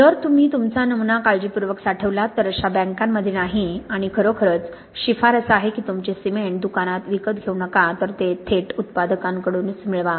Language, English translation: Marathi, If you store your sample carefully, so not in banks like this and really the recommendation is do not buy your cement in a shop, really get it direct from the manufacturer